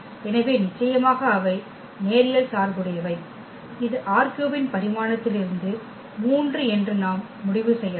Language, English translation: Tamil, So, definitely they are linearly dependent which we can conclude from the dimension of R 3 which is 3